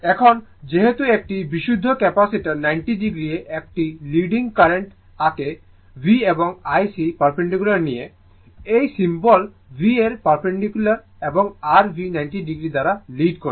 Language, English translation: Bengali, Now, since the , pure Capacitor draws a leading current at ninety degree right with V and IC is shown perpendicular this symbol is a perpendicular to V and leading by your V by 90 degree